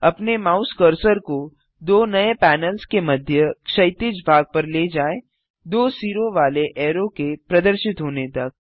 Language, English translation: Hindi, Move your mouse cursor to the horizontal edge between the two new panels till a double headed arrow appears